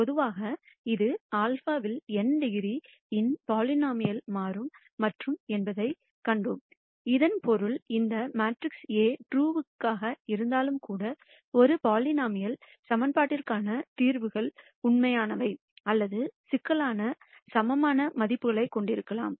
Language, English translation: Tamil, In general, we also saw that, this would turn out to be a polynomial of degree n in lambda, which basically means that even if this matrix A is real, because the solutions to a polynomial equation could be either real or complex, you could have eigenvalues that are complex